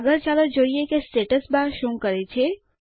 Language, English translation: Gujarati, Next, lets see what the Status bar does